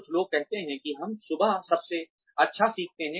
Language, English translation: Hindi, Some people say that, we learn best in the morning